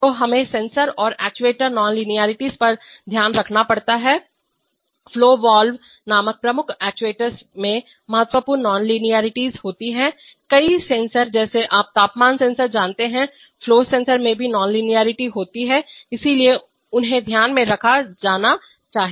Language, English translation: Hindi, So one has to take care of sensor and actuator nonlinearities, the one of the major actuators called flow valves have significant non linearities, several sensors like you know temperature sensors, flow sensors also have nonlinearities, so they should be taken into account